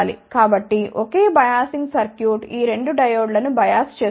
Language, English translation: Telugu, So, a single biasing circuit can bias both of these diodes